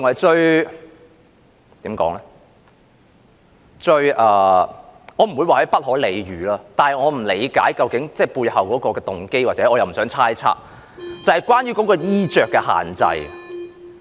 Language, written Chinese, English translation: Cantonese, 該怎麼說，我不會說是不可理喻，但我不理解背後的動機，而我又不想猜測，就是關於衣着的限制。, I would not say it is incomprehensible but I do not understand the motive behind it nor do I want to make any speculation